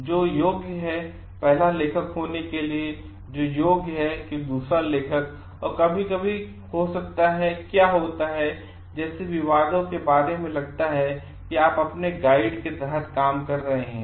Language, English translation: Hindi, So, who qualifies to be the first author, who qualifies to be the second author there could be sometimes what happens controversies regarding like suppose you are working in under your guide